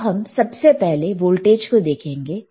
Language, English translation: Hindi, So, let us first see just the voltage